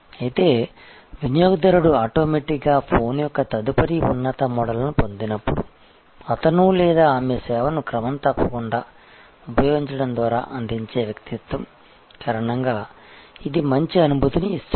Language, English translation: Telugu, But, it gives a good feel that when a customer automatically gets the next higher model of the phone, because of the personage that he or she is providing by regularly using the service